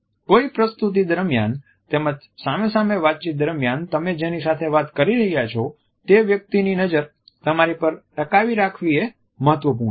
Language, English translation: Gujarati, During a presentation as well as during a one to one conversation it is important to captivate the eyes of the person with whom you are talking